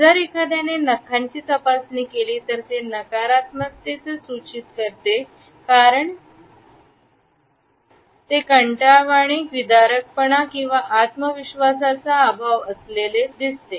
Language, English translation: Marathi, If someone inspects the fingernails, it suggests negativity and then we can understand, it as a boredom or disinterest or lack of confidence, etcetera